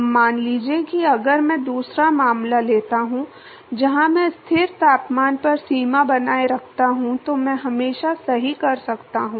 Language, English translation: Hindi, Now supposing if I take a second case, where I maintain the boundary at a constant temperature I can always do that right